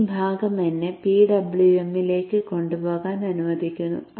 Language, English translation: Malayalam, So this portion let me take it into the PWM